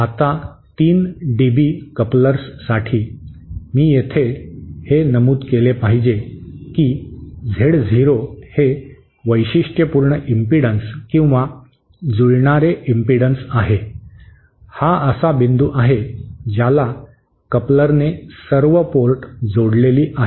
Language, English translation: Marathi, Now, for a 3 dB couplers, here I should mention that Z0 is the characteristic impedance or the matching impedance, that is the impotence to which the coupler is assumed to be connected all the ports